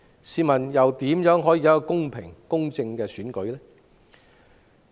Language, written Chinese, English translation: Cantonese, 試問怎能有公平公正的選舉？, How can the election be fair and impartial?